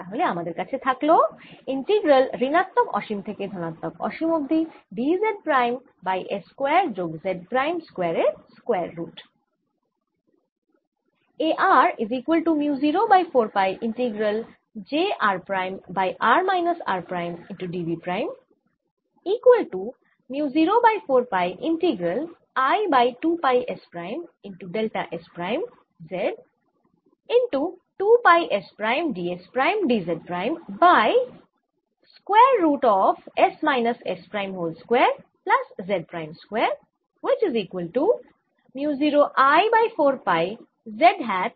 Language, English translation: Bengali, so i am left with integral minus infinity to infinity d z prime over square root of s square plus z prime square